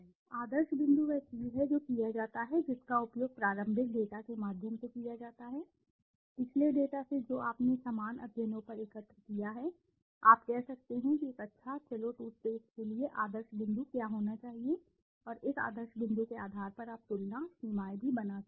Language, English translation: Hindi, Ideal point is something which is done, which is used through early past researches, from the past data that you have collected on similar studies, you can say what should be the ideal point for a good let say toothpaste and on basis of this ideal point you can make also comparisons, limitations